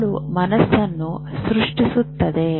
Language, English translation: Kannada, So, does the brain create the mind